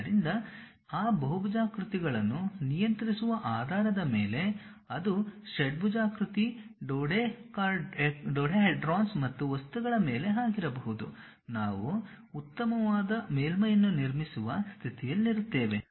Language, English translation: Kannada, So, based on controlling those polygons, it can be hexagon, dodecahedrons and so on things, we will be in a position to construct a nice surface